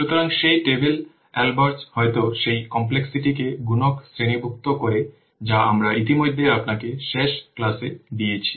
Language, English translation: Bengali, So that table albred that complexity classifiers, the multipliers we have already given you in the last class